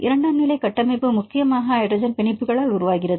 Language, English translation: Tamil, What are the major secondary structures form this hydrogen bonding free energy